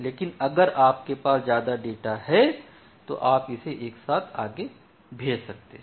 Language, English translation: Hindi, But if you have more data immediately you can send it further